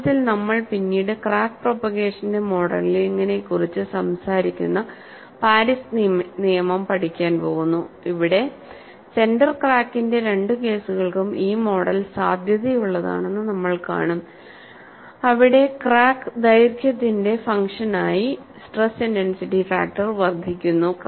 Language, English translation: Malayalam, In fact, later we are going to study Paris law, which talks about the modeling of crack propagation, where we would see, that model is valid for both the cases of a center crack, where the stress intensity factor increases as the function of crack length; the counter example is stress intensity factor decreases as a function of crack length